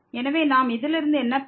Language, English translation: Tamil, So, out of this expression what we see